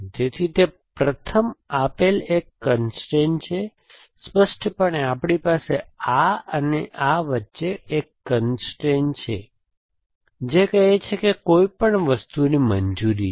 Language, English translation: Gujarati, So, that is a constrain given to first, implicitly we have a constrain between this and this which says that anything is allowed